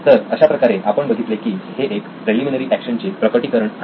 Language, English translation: Marathi, So this is one of the manifestations of preliminary action